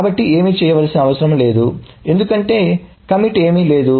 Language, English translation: Telugu, So nothing needs to be done because there is nothing committed